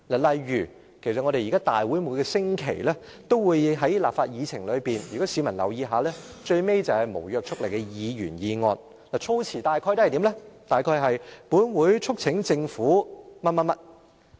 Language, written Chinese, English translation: Cantonese, 例如立法會每星期也在議程上——如果市民留意一下——最後便是無約束力的議員議案，議案措辭大約是："本會促請政府......, If members of the public care to find out they will see that the last item on the agenda of the Legislative Council meeting every week is invariably a motion with no legislative effect